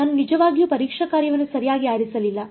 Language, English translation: Kannada, I did not actually choose a testing function right